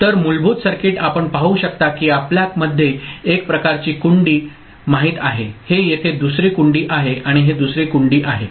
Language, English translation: Marathi, So, the basic circuit you can see that there is one kind of you know latch here this is another latch and this is another latch ok